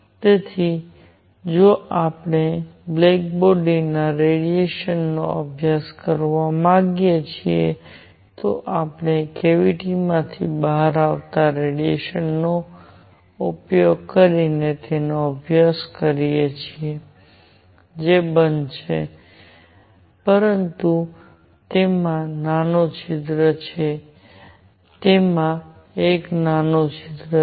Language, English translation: Gujarati, So, if we wish to study black body radiation, we can study it using radiation coming out of a cavity which is closed, but has a small hole; with a small hole in it